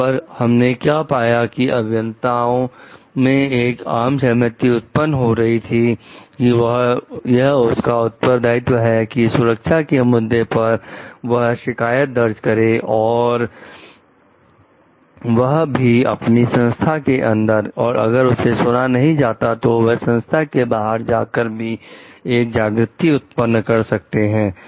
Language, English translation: Hindi, What we find over there like there is a growing consensus amongst the engineers like it is a part of their responsibility to regarding safety concerns to raise complaints and through if within the organization and if it is not heard they can go for whistle blowing outside the organization also